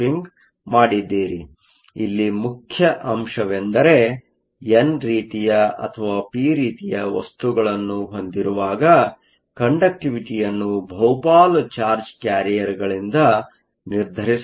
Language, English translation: Kannada, So, the main point here is that when you have whether an n type or a p type, the conductivity is essentially determined by the majority charge carriers